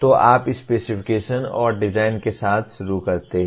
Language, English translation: Hindi, So you start with specifications and design